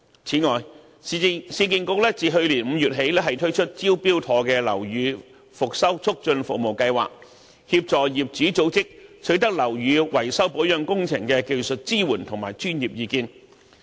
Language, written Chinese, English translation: Cantonese, 此外，市建局自去年5月起推出"招標妥"樓宇復修促進服務計劃，協助業主組織取得樓宇維修保養工程的技術支援及專業意見。, Moreover since May last year URA has introduced the pilot scheme of the Smart Tender Building Rehabilitation Facilitating Services to assist owners organizations in acquiring technical support and professional advice for building maintenance and repair works